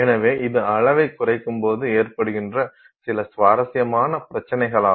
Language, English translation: Tamil, So, this is an interesting cycle of problems that arises as you go down in scale